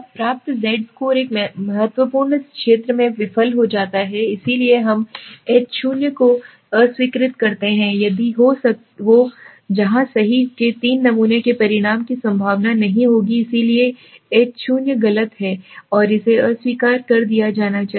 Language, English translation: Hindi, Now the obtained Z score fail in a critical region so we reject the H0, if the Ho where true sample outcome of 3 would be unlikely therefore the H0 is false and must be rejected